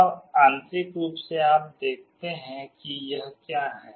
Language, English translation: Hindi, Now, internally you see what it is there